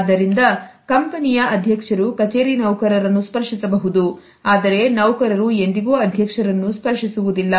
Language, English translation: Kannada, So, the president of the company may touch the office employees, but the employees would never touch the president